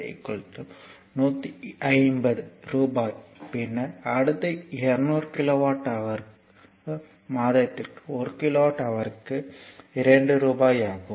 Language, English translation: Tamil, 5 so, it is rupees 150, then next 200 kilowatt hour per month rupees 2 per kilowatt hour